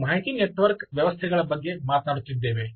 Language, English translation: Kannada, we are actually talking about information network systems, right